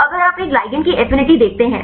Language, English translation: Hindi, So, if you see affinity of a ligand